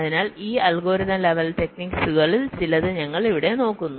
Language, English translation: Malayalam, so we look at some of these algorithmic level techniques here